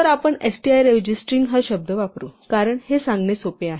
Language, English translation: Marathi, So, we will use the word string instead of str, because it is easier to say